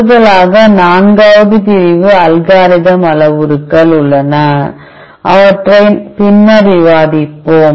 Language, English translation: Tamil, Additionally there is a fourth section algorithm parameters, which we will discuss later